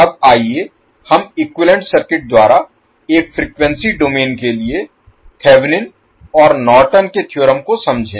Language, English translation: Hindi, Now, let us understand the Thevenin and Norton’s theorem one particular frequency domain we will first create the equivalent circuit